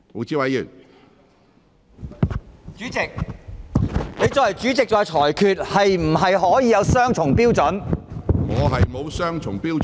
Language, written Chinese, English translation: Cantonese, 主席，作為主席，你作出裁決是否可以有雙重標準？, President as the President can you apply a double standard in making your ruling?